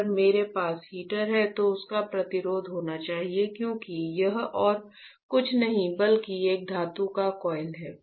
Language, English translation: Hindi, If I have a heater, it should have a resistance because this is nothing, but a metal coil right